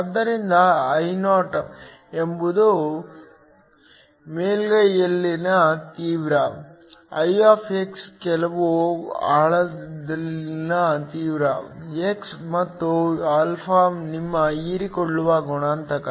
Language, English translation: Kannada, So, Io is the intensity at the surface, I is the intensity at some depth x and α is your absorption coefficient